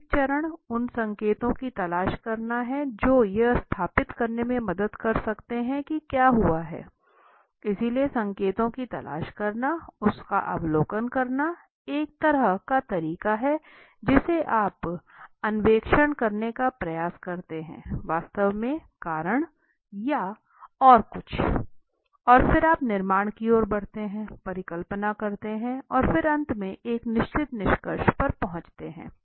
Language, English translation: Hindi, The initial step is to look for hints which can help establish what has happened, so looking for hints, looking observing it is kind of way in which you try to explore what is actually the reason or something and then from where you move towards building up of hypothesis and then reaching to a certain conclusion at the end